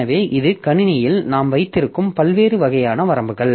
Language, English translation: Tamil, So, this is the different types of limits that we have in this system